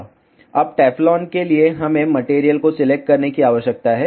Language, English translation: Hindi, Now, for the Teflon we need to select the material